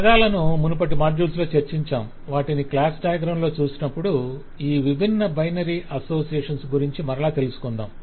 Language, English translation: Telugu, we have talked about these terms in earlier modules as well, but certainly when we come across them in the class diagram, we will again explain what these different binary association means